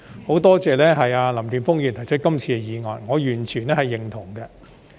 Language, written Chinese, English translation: Cantonese, 很多謝林健鋒議員提出這項議案，我完全認同。, I am very grateful to Mr Jeffrey LAM for proposing this motion and I totally agree with that